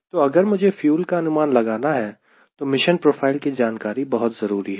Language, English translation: Hindi, so if i want to have an idea about fuel, i need to know what is the mission profile